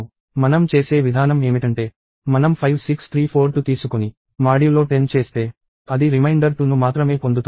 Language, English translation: Telugu, The way we do that is we take 56342 and do modulo 10; that will get the reminder 2 alone